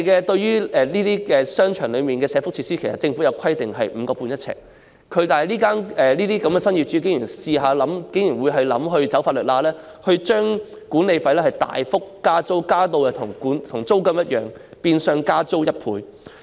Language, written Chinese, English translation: Cantonese, 對於商場內的社福設施，政府規定每平方呎的租金是 5.5 元，但新業主竟然設法鑽法律空子，大幅增加管理費至與租金水平相若，變相加租1倍。, Regarding the welfare facilities in the shopping centre the rent is capped at 5.5 by the Government yet the new owner dares to exploit the loopholes in law by hook or by crook by imposing a drastic increase in management fee . Since the management fee was raised to a level comparable to the rent the rent was de facto doubled